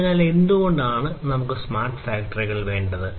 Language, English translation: Malayalam, So, why at all we need to have smart factories